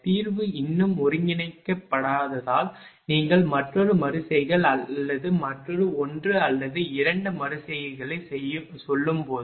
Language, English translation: Tamil, Because the solution has not yet converged, when you take say another iteration or another 1 or 2 iterations